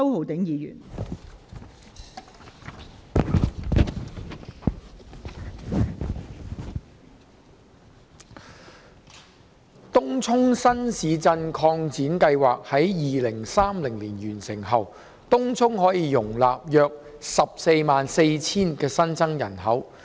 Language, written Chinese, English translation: Cantonese, 東涌新市鎮擴展計劃於2030年完成後，東涌可容納約144000新增人口。, Upon the completion of the Tung Chung New Town Extension project in 2030 Tung Chung will be capable of accommodating an additional population of about 144 000